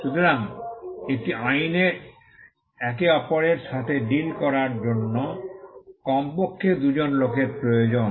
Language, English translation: Bengali, So, an act requires at least two people to deal with each other